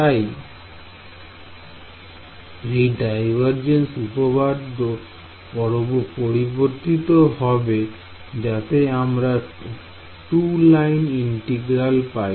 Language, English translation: Bengali, Right, so this divergence theorem will get modified to exclude to have 2 line integrals